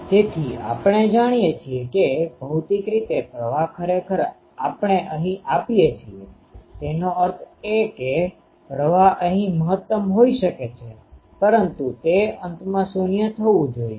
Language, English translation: Gujarati, So, we know that physically the current actually we are feeding here; that means, the current may be maximum here, but it should go to 0 at the ends